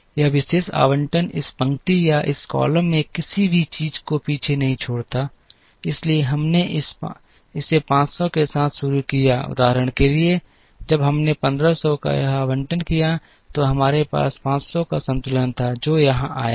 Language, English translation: Hindi, This particular allocation did not leave behind anything either in this row or in this column, therefore we started here with this 500 for example, when we made this allocation of 1500, we had a balance of 500 here which came here